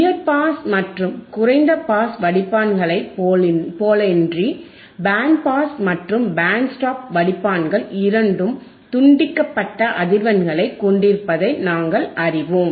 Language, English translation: Tamil, We know that unlike high pass and low pass filters, band pass and band stop filters have two cut off frequencies have two cut off frequency right,